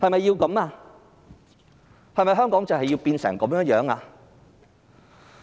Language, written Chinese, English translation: Cantonese, 然而，香港是否要變成這樣？, However do we really want Hong Kong to be like this?